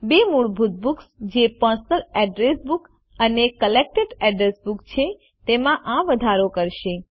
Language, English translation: Gujarati, This is in addition to the two default books, that is, Personal Address Book and Collected Addresses